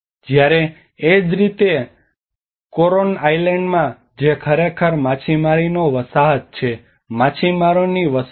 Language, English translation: Gujarati, Whereas similarly in the Coron island which is actually the fishing settlement, fishermen settlements